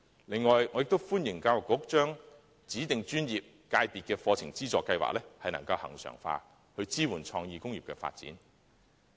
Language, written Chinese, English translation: Cantonese, 另外，我亦歡迎教育局將"指定專業/界別課程資助計劃"恆常化，以支援創意工業的發展。, In addition I welcome the Education Bureaus move to regularize the Study Subsidy Scheme for Designated ProfessionsSectors to support the development of creative industries